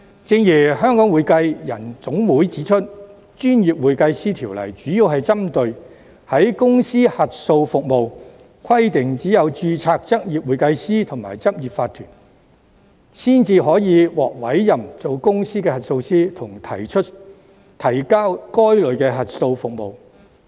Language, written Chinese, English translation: Cantonese, 正如香港會計人員總會指出，《條例》主要針對公司核數服務，規定只有執業會計師和執業法團才可獲委任為公司核數師，以及提交該類的核數報告。, As pointed out by the Hong Kong Accounting Professionals Association the Ordinance mainly deals with corporate auditing service and provides that only certified public accountant and corporate practice can be appointed as a corporate auditor and submit the relevant audit reports